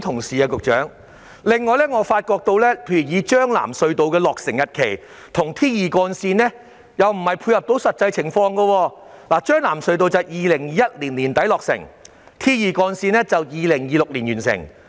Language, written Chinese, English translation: Cantonese, 此外，將軍澳─藍田隧道和 T2 主幹路的落成日期未能配合實際情況，將藍隧道在2021年年底落成，而 T2 主幹路則在2026年完成。, In addition the dates of completion of the Tseung Kwan O - Lam Tin Tunnel TKO - LTT and Trunk Road T2 will be unable to cope with the actual situation . TKO - LTT will be completed in late 2021 and Trunk Road T2 will be completed in 2026